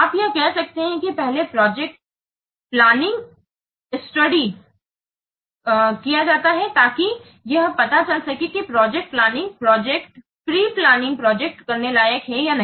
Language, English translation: Hindi, You can see that first the project study is conducted in order to know that whether the project is worth doing or not